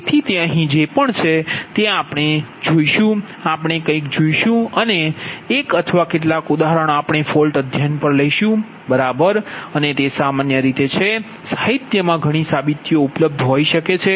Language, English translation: Gujarati, so whatever it is here what we will do, we will see something and one or couple of examples we will take on fault studies, right, and as it is your in general, many, many, many derivations may be available in the literature